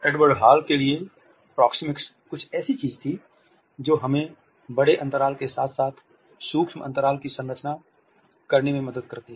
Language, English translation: Hindi, To Edward Hall proxemics was something which helps us to structure the space as well as the micro space